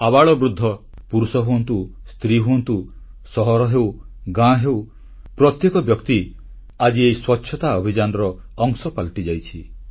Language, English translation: Odia, The old or the young, men or women, city or village everyone has become a part of this Cleanliness campaign now